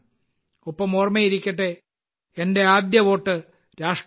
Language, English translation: Malayalam, And do remember 'My first vote for the country'